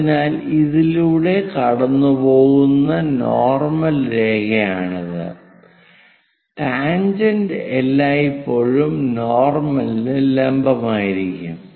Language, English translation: Malayalam, So, this will be the normal line for us which is going via that and tangent always be perpendicular to that that will be tangent